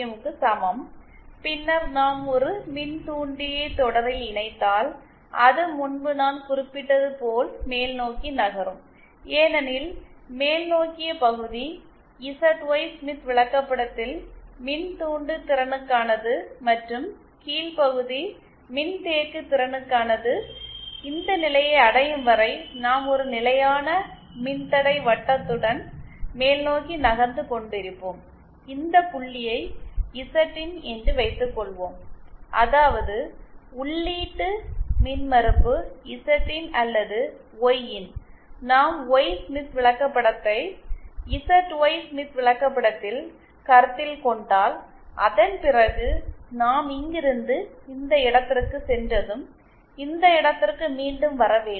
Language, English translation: Tamil, 0 and then if we connect an inductor in series then as I had mentioned before that it will be moving upwards because the upward part of the ZY Smith chart is inductive and the lower part is capacitive, we will be moving upwards along a constant resistance circle till we reach this point say Zin at this point the input impedance is Zin or Yin, if we consider the Y Smith chart in the ZY Smith chart